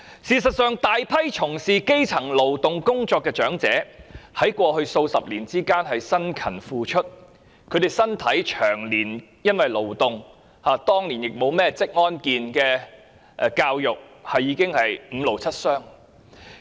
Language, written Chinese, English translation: Cantonese, 事實上，大批從事勞動工作的基層長者，在過去數十年辛勤付出，身體因為長年的勞動——當年亦沒有職安健教育——已經五癆七傷。, In fact a large number of grass - roots elderly people were engaged in manual labour jobs in the past few decades . They have been suffering from multiple strains due to hard toil over the years―there was no occupational safety education back then